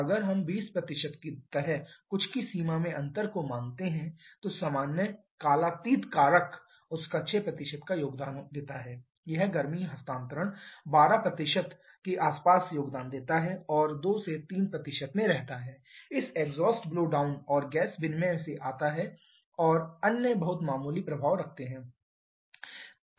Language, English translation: Hindi, If we assume the difference to be in the range of something like 20% then general is timeless factor contributes about 6% of that this heat transfer contributes about 12% of that and remain in 2 to 3% comes from this exhaust blow down and gas exchange others having a very minor effect